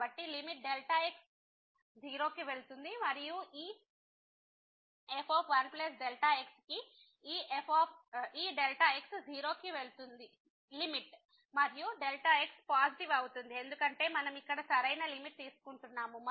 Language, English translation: Telugu, So, the limit goes to 0, and this ) will be this is limit goes to 0 and positive because the right limit we are taking here